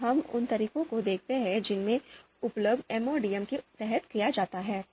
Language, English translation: Hindi, We look at the methods the kind of methods that are used under MODM